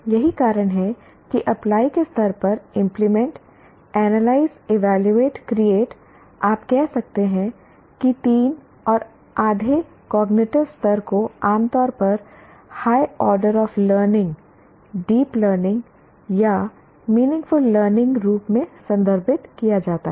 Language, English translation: Hindi, That is the reason why apply with implement level, analyze, evaluate and create these you can say three and half cognitive levels are generally referred to as meaningful learning or higher orders of learning or deep learning